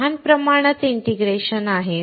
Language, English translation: Marathi, There is small scale integration